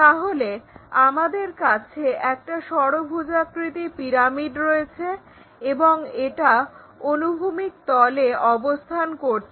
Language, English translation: Bengali, So, we have hexagonal pyramid and it is resting on horizontal plane